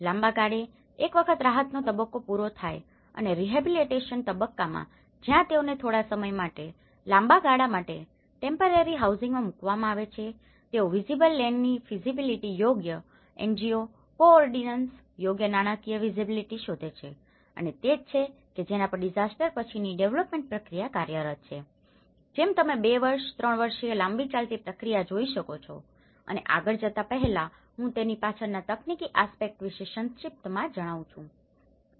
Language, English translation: Gujarati, In a long run, once the relief stage is done and the rehabilitation stage where they are put in temporary housing for some time and long run they look for the visible land feasibility and appropriate NGO co ordinations, appropriate financial visibilities and that is where the post disaster development process works on, which you could be a two year, three year long run process, and before going I like to brief about the technical aspects behind it